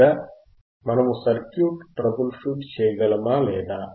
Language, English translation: Telugu, Or whether we can troubleshoot the circuit or not